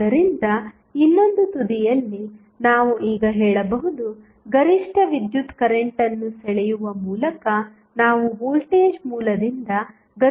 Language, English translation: Kannada, So, on the other end, we can now say that, we draw the maximum power possible power from the voltage source by drawing the maximum possible current